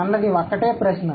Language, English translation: Telugu, That's one question